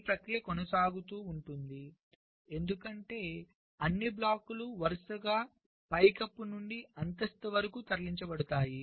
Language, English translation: Telugu, and this process is continued because all the blocks are successively moved from the ceiling to the floor